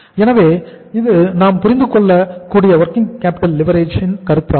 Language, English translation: Tamil, So this is the concept of the working capital leverage we can understand